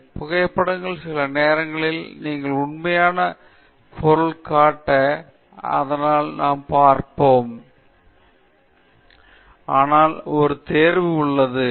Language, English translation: Tamil, So, similarly for photographs and drawing; photographs sometimes show you the actual object, so we will see that, but there is a choice